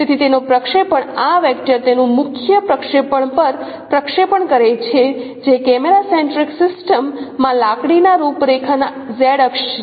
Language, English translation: Gujarati, So its projection, so this vector, its projection on the principal axis which is no z axis of the canonical form or in the camera centric system